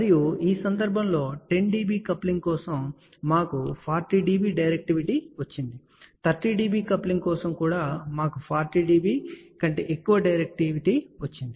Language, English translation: Telugu, Even for 30 dB coupling we got more than 40 dB directivity